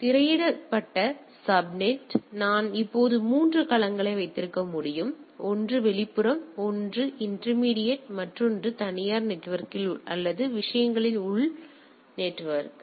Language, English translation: Tamil, So, a screened subnet; so I can have now 3 domain right one is the external one is the intermediate and in the another is the on the private network or the internal network on the things right